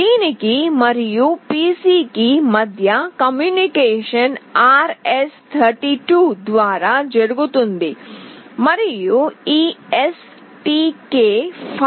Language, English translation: Telugu, The communication between this and the PC is done over RS232, and this STK500 uses 115